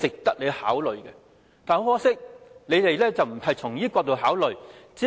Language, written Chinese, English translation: Cantonese, 但很可惜，當局並非從這角度考慮。, Yet regrettably the authorities did not make consideration from this angle